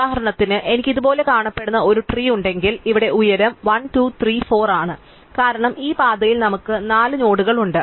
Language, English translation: Malayalam, For example, if I have a tree which looks like this, then here the height is 1, 2, 3, 4 because on this path we have 4 nodes